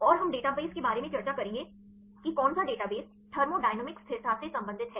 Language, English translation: Hindi, And we will discuss about database which database deals with the thermodynamic stability